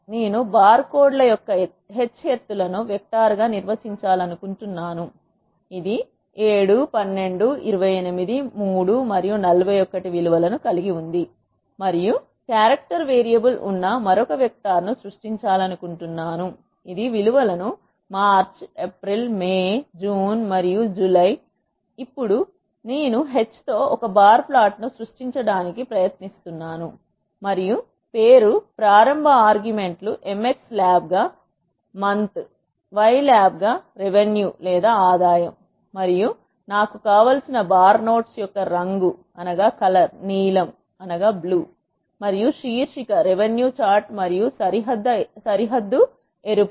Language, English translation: Telugu, I want to define h heights of the barcodes as a vector, which is having the values 7, 12, 28, 3 and 41, and I want to create another vector which is of character variable, which is having the values March, April, May, June and July, and now, I am trying to create a bar plot with h as heights and name start arguments as m x lab as month, y lab as revenue and the colour of the bar notes I want, is blue and the title is revenue chart and the border is red